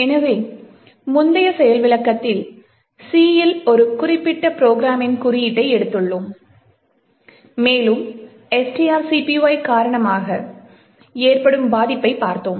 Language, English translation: Tamil, So, in the previous demonstration we had taken a particular code a program in C and we had actually looked at a vulnerability that was occurring due to string copy